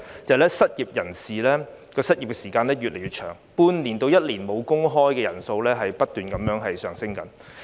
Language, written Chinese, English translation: Cantonese, 第一，失業人士的失業時間越來越長，半年至一年"無工開"的人數不斷上升。, First the unemployment period of the unemployed is getting longer and longer and the number of people who have been jobless for six months to one year has been increasing